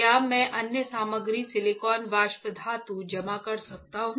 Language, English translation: Hindi, Can I deposit another material silicon vapor metal